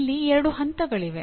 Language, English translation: Kannada, There are two step process